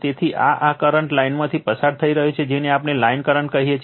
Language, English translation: Gujarati, So, this is this current is going through the line we call line current